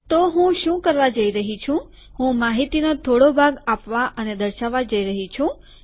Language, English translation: Gujarati, So what Im going to do is Im going to give, show part of the information